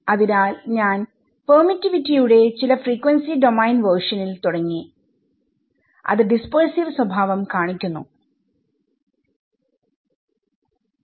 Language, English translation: Malayalam, So, I started with some frequency domain version of the permittivity which is the dispersive nature